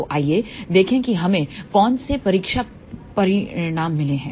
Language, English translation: Hindi, So, let us see what are the test results we got